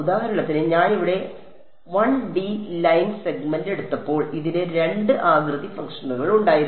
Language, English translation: Malayalam, So, for example, when I took the 1 D line segment over here this had 2 shape functions right